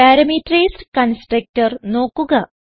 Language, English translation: Malayalam, Now, notice the parameterized constructor